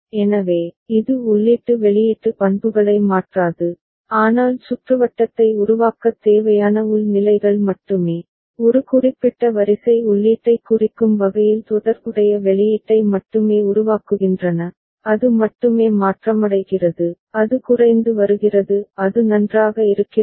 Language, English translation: Tamil, So, it will not alter the input output characteristics, but only the internal states that are required to generate the circuit, generate the corresponding output in reference to a particular sequence of input that only is getting changed, that is only getting reduced ok; is it fine